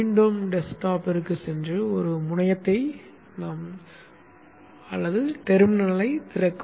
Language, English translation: Tamil, Again go to the desktop and open a terminal